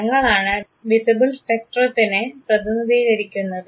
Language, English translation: Malayalam, The colors represent the visible spectrum